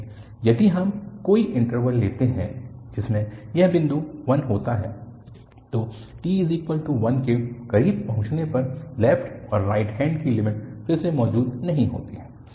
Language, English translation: Hindi, But, if we take any interval which contains this point 1, then the left and the right hand limit do not exist again as we approach to t equal to 1